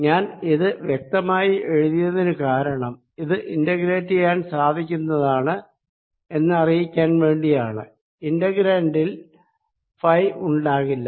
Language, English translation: Malayalam, i wrote this explicitly out here just to show that this can be integrated over, because in the integrant there is no phi